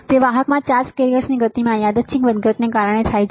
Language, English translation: Gujarati, It is caused by the random fluctuations in the motion of carrier charged carriers in a conductor